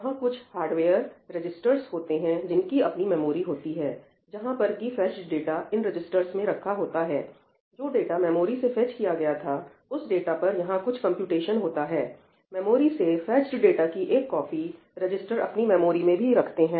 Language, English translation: Hindi, There are hardware registers where it has fetched data, kept it in the registers, it is doing some computation on it for data which is fetched from the memory, the register contains copy of the data in the memory